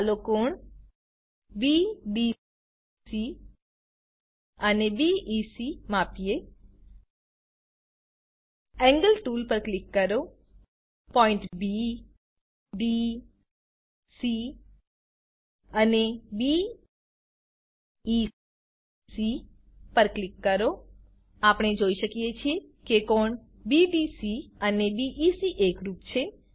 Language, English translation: Gujarati, Lets measure the angles BDC and BEC Click on the Angle tool, Click on points B, D, C and B, E, C We can see that the angles BDC and BEC are equal